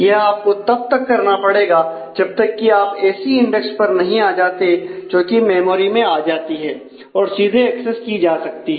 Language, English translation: Hindi, So, on till you come to a index of list which fits into a memory can be directly accessed